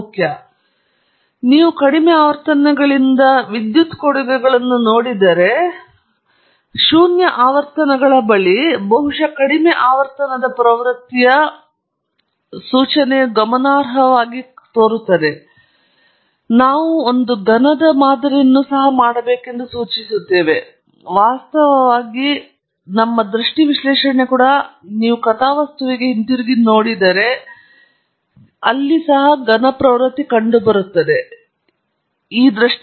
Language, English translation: Kannada, Now, if you look at the power contributions from very low frequencies almost near zero frequencies there seems to be some significant contribution that is perhaps indicative of a very low frequency trend, which probably is indicating that we should have also modelled the cubic one; even our visual analysis, in fact, reveal that if you go back to the plot, there seems to be some kind of a cubic trend